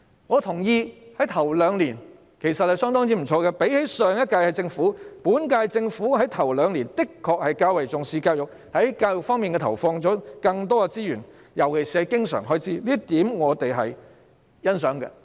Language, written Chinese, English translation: Cantonese, 我認同在首兩年，情況相當不錯，與前兩屆政府相比，本屆政府在首兩年的確較為重視教育，在教育方面投放了更多資源，尤其是經常開支，這點我們是欣賞的。, I agree that in the first two years the situation was pretty good . Compared with the Government of the previous two terms the current - term Government had indeed attached more importance to education in the first two years . More resources had been injected into education especially in recurrent expenditure